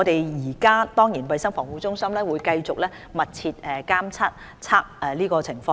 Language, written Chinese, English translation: Cantonese, 現時衞生防護中心會繼續密切監測情況。, CHP will continue to closely monitor the situation